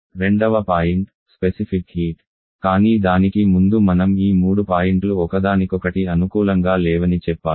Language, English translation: Telugu, Second point is the specific heat but before that I have to mention that these 3 points are not compatible with each other quite often